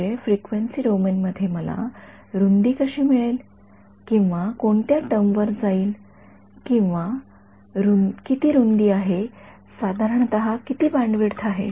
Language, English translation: Marathi, I mean how do I know the width in the frequency domain which term is going to or what is the width what is the bandwidth roughly right